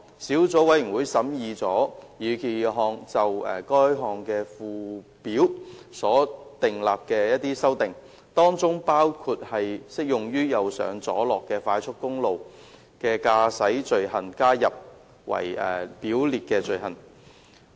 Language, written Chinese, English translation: Cantonese, 小組委員會審議了擬議決議案就該條例附表所作的修訂，當中包括把適用於"右上左落"快速公路的駕駛罪行加入為表列罪行。, 240 . The Subcommittee has scrutinized the proposed resolutions amendments to the Schedule to that Ordinance including the introduction of appropriate driving offences on a right - driving expressway as scheduled offences